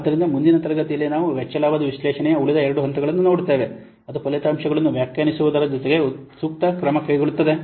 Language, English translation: Kannada, So, in the next class we will see the remaining two steps of cost benefit analysis that is what interpreting the results as well as taking the appropriate action